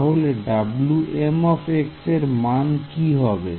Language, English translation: Bengali, So, what should W m be